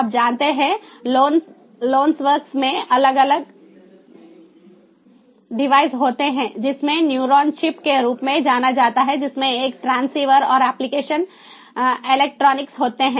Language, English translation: Hindi, you know, lonworks has a different devices which includes something known as the neuron chip, which has a transceiver and the application electronics